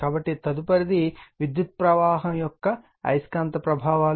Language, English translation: Telugu, So, next is your the magnetic effects of electric current